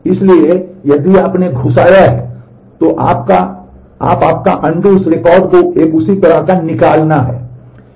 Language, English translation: Hindi, So, if you have inserted, then you your undo is a corresponding delete of that record